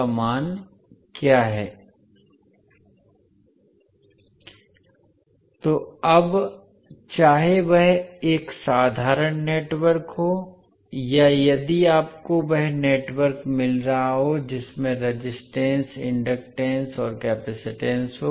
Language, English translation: Hindi, So now, whether it is a simple network or if you get the network having that resistance, inductance and capacitance